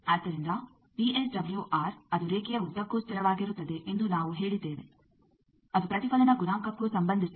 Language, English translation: Kannada, So, you see that VSWR which we said that it is constant along the line it also is related to reflection coefficient